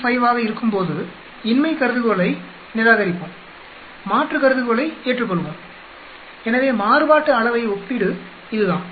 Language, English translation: Tamil, 5 we will reject null hypothesis and we will accept the alternate hypothesis, so that is what a variance comparison is